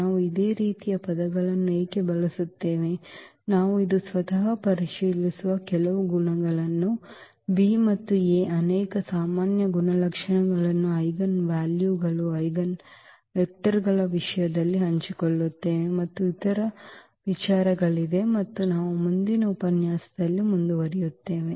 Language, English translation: Kannada, Why do we use the similar words some of the properties we will check today itself, that they share away many common properties this B and A in terms of the eigenvalues, eigenvectors and there are other considerations as well which we will continue in the next lecture